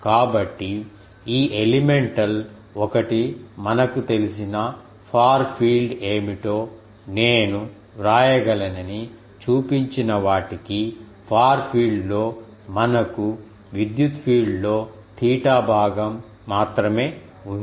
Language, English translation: Telugu, So, for the one shown that these elemental one I can write what will be the far field we know, that in the far field we have only theta component of the electric field